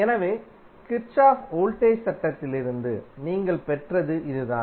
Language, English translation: Tamil, So, this is what you got from the Kirchhoff Voltage Law